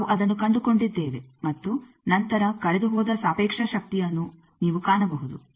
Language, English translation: Kannada, That we have found and then you can find the relative power lost